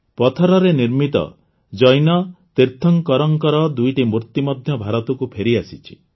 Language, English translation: Odia, Two stone idols of Jain Tirthankaras have also come back to India